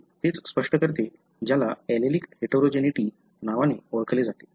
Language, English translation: Marathi, So, that is what explains what is known as allelic heterogeneity